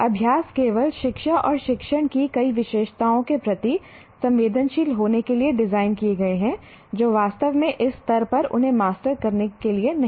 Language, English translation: Hindi, The exercise are designed only to sensitize to the many features of education and teaching, not really to master them at this stage